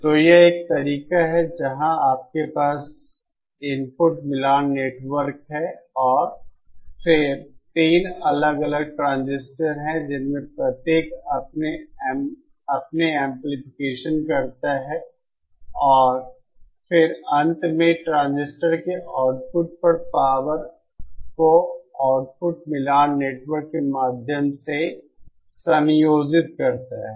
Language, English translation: Hindi, So this is one method where you have an input matching network and then three individual transistors each of which produce their amplification and then finally at the output of the transistors, the powers are combined through an output matching network